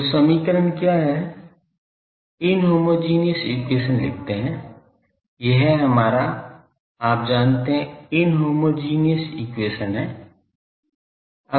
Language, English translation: Hindi, So, what is the equation write the inhomogeneous equation this was our you know inhomogeneous equation